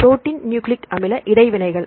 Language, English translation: Tamil, Protein nucleic acid interactions